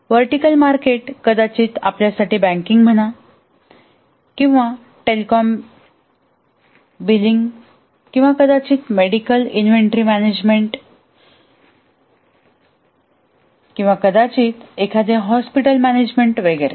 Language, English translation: Marathi, The vertical market may be for, let's say, banking, or let's say telecom billing or maybe medical inventory management or maybe a hospital management and so on